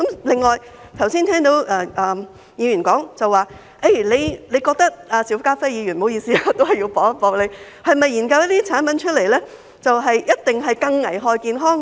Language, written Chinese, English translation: Cantonese, 另外，我剛才聽到議員說——邵家輝議員，不好意思，我要反駁他——你是否認為研究這些產品出來，就一定會更危害健康呢？, What is more just now I have heard a Member―Mr SHIU Ka - fai sorry I have to refute him―say this Do you think that the products developed are necessarily more harmful to health?